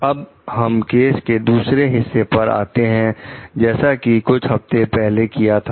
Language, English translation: Hindi, Next, comes the second part of the case very fine, like a few weeks ago